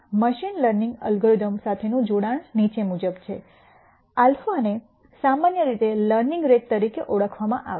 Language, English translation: Gujarati, Connection to machine learning algorithms is the following this alpha is usually called as the learning rate